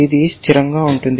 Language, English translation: Telugu, This is a constant